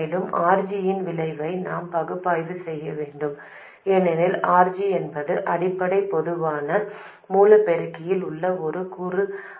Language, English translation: Tamil, Also, we have to analyze the effect of RG, because RG is not a component that is in the basic common source amplifier